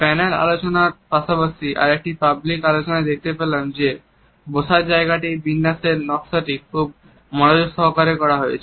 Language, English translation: Bengali, In panel discussions as well as another public discussions we find that the physical arrangement of seating is very meticulously designed